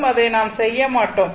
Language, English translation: Tamil, We will not do that